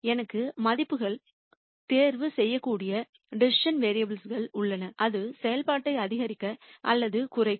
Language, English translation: Tamil, I have decision vari ables which I can choose values for, that will either maximize or minimize the function